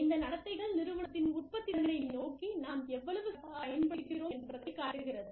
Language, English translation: Tamil, And, how well, we use these behaviors, towards the productivity of the organization